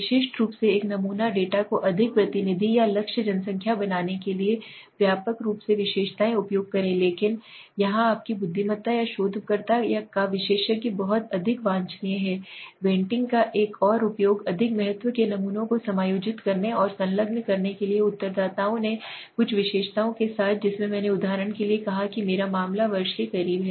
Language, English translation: Hindi, Widely use to make a sample data more representative or target population on specific characteristics but here your intelligence or the expert of the researcher is very highly desirable okay another use of weighting is to adjust the samples of the greater importance and attached to respondents with certain characteristics in which I said for example my case the year the closer year right